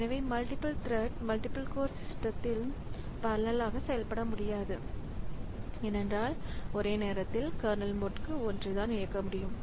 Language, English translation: Tamil, So multiple threads they may not run in parallel on multi core system because only one may be in candle mode at a time